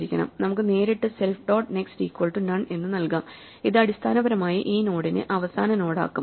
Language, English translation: Malayalam, So, we can also directly assign self dot next is equal none and it would basically make this node the last node